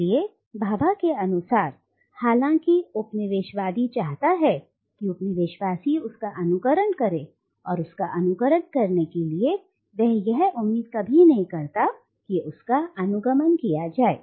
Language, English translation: Hindi, So, according to Bhabha, though the coloniser wants the colonised to mimic him, to imitate him, he never really expects the latter to catch up